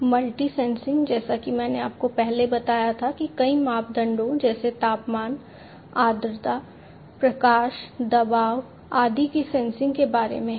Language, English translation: Hindi, Multi sensing as I told you before it is about sensing multiple parameters such as temperature, humidity, light, pressure, and so on